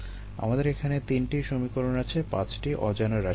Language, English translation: Bengali, we have three equations, five unknowns